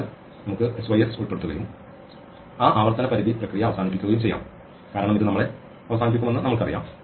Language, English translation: Malayalam, So, let us also include sys and finish off that recursion limit process because we know this is gonna kill us